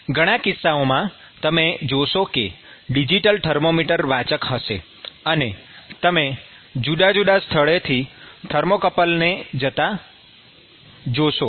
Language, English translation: Gujarati, So, you will see there is a digital thermometer reader and you will see thermocouple going from different locations